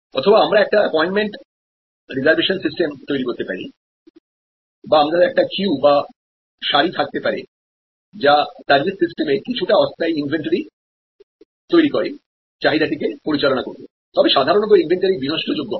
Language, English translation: Bengali, Or we can actually create a appointment system reservation of time or we can have a queue these are all managing the demand in a way creating some temporary inventory in the service system, was normally it is perishable